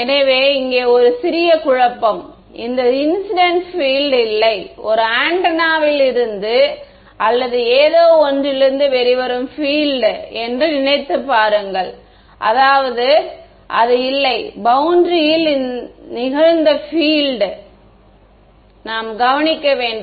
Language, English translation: Tamil, So, slight confusion over here, this incident field do not think of it as the field that is coming out of an antenna or something, I mean it is not it is the field that is being incident on the boundary, which I should observe